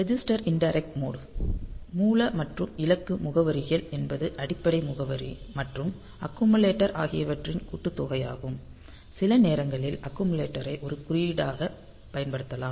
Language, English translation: Tamil, Then we have got this register indirect mode; the source and destination addresses, the sum of the base address and the accumulator some accumulator can be used as an index